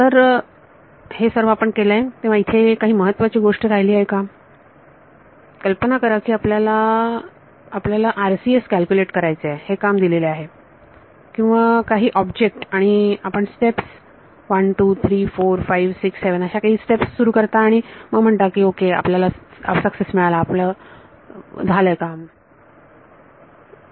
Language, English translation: Marathi, So, is that all are we done or if there is some important thing now imagine that you are you have this task you have given to calculate RCS or some object and you come start step 1,2,3,4,5,6,7 and you declare success and victory after that no why